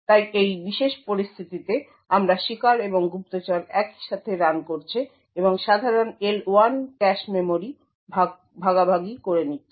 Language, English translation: Bengali, So given this particular scenario we have the victim and the spy running simultaneously and sharing the common L1 cache memory